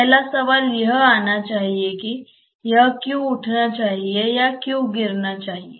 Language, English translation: Hindi, First question should come that why it should rise or why it should fall